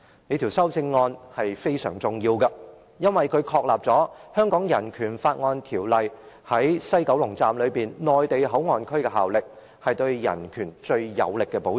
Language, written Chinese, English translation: Cantonese, "這項修正案非常重要，因為它確立《香港人權法案條例》在西九龍站內地口岸區的效力，是對人權最有力的保障。, 383 remains in force in the Mainland Port Area . This amendment is greatly important because it establishes the effect of the Hong Kong Bill of Rights Ordinance BORO in the Mainland Port Area in the West Kowloon Station being the most powerful protection for human rights